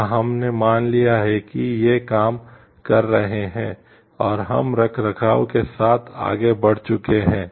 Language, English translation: Hindi, Or we have assumed like these are working, and we have gone ahead with the maintenance part